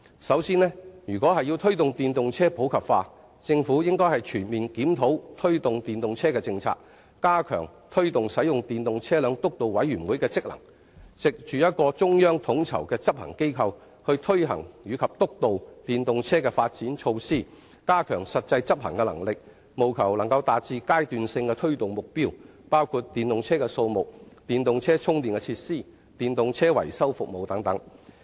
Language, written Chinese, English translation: Cantonese, 首先，如果要推動電動車普及化，政府應全面檢討相關的政策，加強推動使用電動車輛督導委員會的職能，藉着一個中央統籌的執行機構去推行及督導電動車的發展措施，加強實際執行能力，務求達至階段性的推動目標，包括電動車輛的數目、電動車充電設施的供應、電動車維修服務的提供等。, First to promote the popularization of EVs the Government should comprehensively review the relevant policies . It should enhance the function of the Steering Committee on the Promotion of Electric Vehicles and turn it into a central coordinating body with actual power to execute and oversee the measures of promoting EVs . The Committees actual execution power should be enhanced with the aim of enabling it to achieve various intermediate targets covering the number of EVs the supply of charging facilities for EVs and the provision of repairs services for EVs